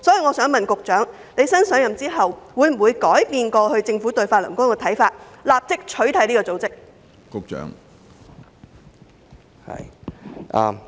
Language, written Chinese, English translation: Cantonese, 我想問新任局長，會否改變政府過去對法輪功的看法，立即取締這個組織？, I would like to ask the newly - appointed Secretary if he will change the Governments previous stance on Falun Gong and outlaw it at once